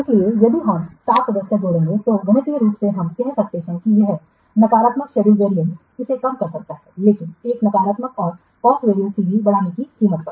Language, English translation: Hindi, So if you will add staff members then mathematically we can say that this negative schedule variance it may be reduced but at the cost of increasing a negative cost variance CV